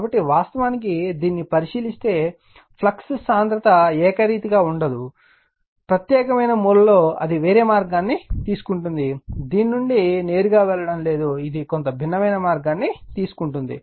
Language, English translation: Telugu, So, it is actually if you look into that, the flux density is not uniform right, the particular the corner it will taking some different path, not directly going from this to that right, it is taking some different path